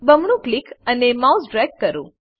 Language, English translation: Gujarati, Double click and drag the mouse